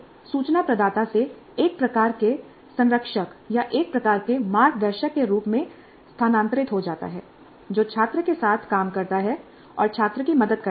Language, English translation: Hindi, So it shifts from an information provider to a kind of a mentor or a kind of a guide who works along with the student and helps the student